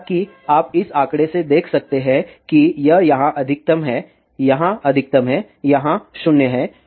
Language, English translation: Hindi, As you can see from this figure it is maximum here maximum here 0 here